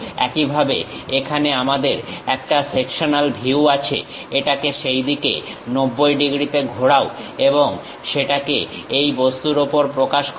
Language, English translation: Bengali, Similarly, here we have a sectional view, rotate it by 90 degrees in that way and represent it on that object